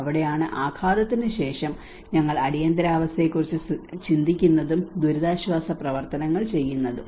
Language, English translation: Malayalam, And that is where after the impact we think about the emergency, and the relief operations works on